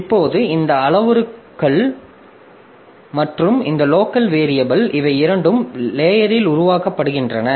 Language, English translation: Tamil, Now this parameters and this local variables so these two so they are created into the stack